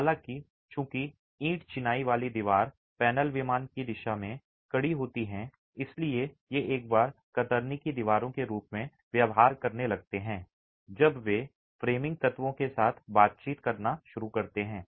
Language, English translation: Hindi, However, since brick masonry wall panels are stiff in the in plain direction, these tend to behave as shear walls themselves once they start interacting with the framing elements